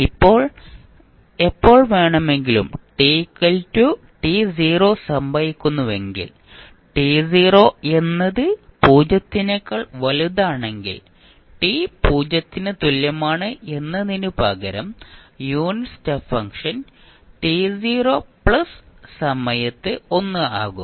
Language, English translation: Malayalam, Now, if the abrupt change occurs at any time t is equal to t naught where t naught is greater than 0 then instead of t is equal to 0 the unit step function will become 1 at time t naught plus